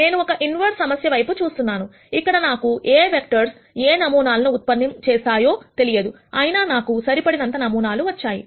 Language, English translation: Telugu, I am looking at an inverse problem here, where I do not know what are the vectors that are generating these samples, nonetheless I have got enough samples